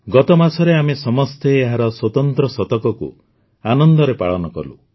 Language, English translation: Odia, Last month all of us have celebrated the special century